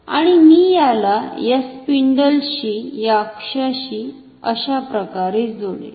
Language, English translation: Marathi, So, this spindle or the axis can rotate like this